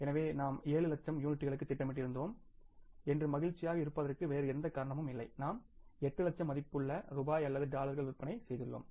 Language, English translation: Tamil, So, there is no reason for us to feel happy that we had planned for 7 lakh units, we have performed 8 lakh units or maybe the 8 lakh worth of rupees or dollars of the sales